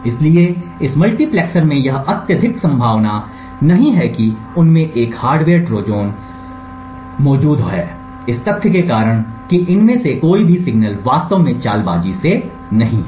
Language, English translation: Hindi, So, in this multiplexer it is highly unlikely that there is a hardware Trojan present in them due to the fact that none of these signals are actually stealthy